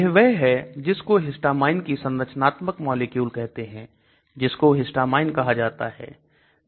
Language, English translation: Hindi, This is what is called the histamine the structure of the molecule and that is called histamine